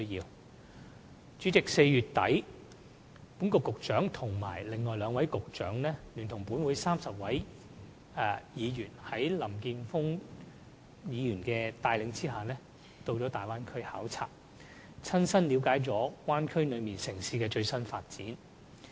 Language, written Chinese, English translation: Cantonese, 代理主席 ，4 月底，本局局長和另外兩位局長，在林健鋒議員帶領下，聯同立法會30名議員，一同到了大灣區考察，親身了解大灣區內城市的最新發展情況。, Deputy President in late April the Secretary for Constitutional and Mainland Affairs and two other Secretaries joined the Legislative Council delegation led Mr Jeffrey LAM . Together with about 30 Members they visited the Bay Area and gained a first - hand understanding of the latest development of the cities within the Bay Area